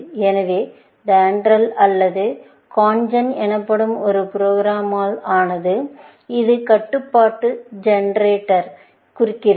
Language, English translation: Tamil, So, DENDRAL was made up of a program called CONGEN, and this stands for Constraint Generator